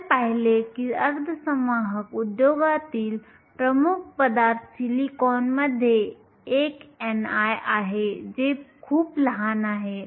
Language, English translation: Marathi, We saw that silicon, the dominant material in the semiconductor industry has an n i which is very small